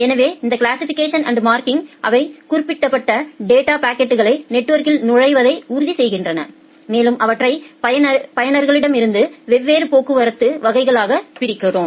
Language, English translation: Tamil, So, this classification and marking it ensures that the marked data packets they enter into the network and we divide them into different traffic classes like from the users